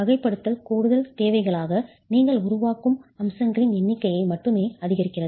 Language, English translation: Tamil, The categorization only increases the number of features that you are building in as additional requirements